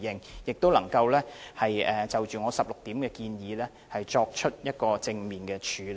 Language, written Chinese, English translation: Cantonese, 我亦希望當局能夠就我提出的16點建議，作出正面處理。, I also hope that the authorities will take forward the 16 recommendations in my amendment in a proactive manner